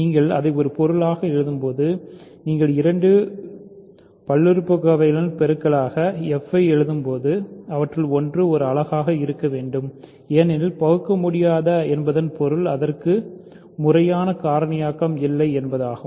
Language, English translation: Tamil, When you write it as a product of; when you write f as a product of two other polynomials, one of them must be a unit because irreducible means it has no proper factorization